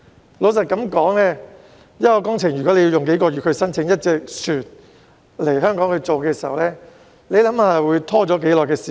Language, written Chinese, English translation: Cantonese, 坦白說，如果一項工程要耗用數個月申請一艘船來港的話，會拖延多長時間？, Frankly speaking if the application for a vessel to come to Hong Kong for a project takes several months how long will be the delay?